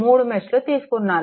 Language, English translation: Telugu, We have taken 3 mesh